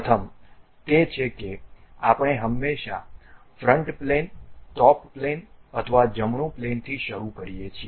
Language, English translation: Gujarati, The first one is we always begin either with front plane, top plane or right plane